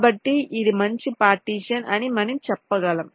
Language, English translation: Telugu, so we can say that this is a good partitions